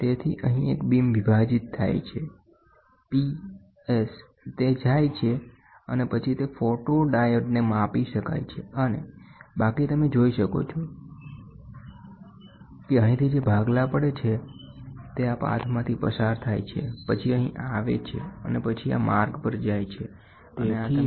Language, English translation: Gujarati, So, here is a beam splitting so, P S it goes and then it gets photodiode can be measured, and the rest you can see which get split from here goes through this path, then comes here, and then goes to this path and this you can get it counted here